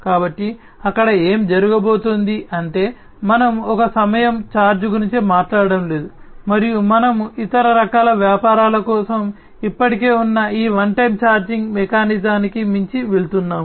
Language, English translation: Telugu, So, there so what is going to happen is we are not talking about a one time kind of charge, and we are going beyond this one time kind of charging mechanism that already exists for other types of businesses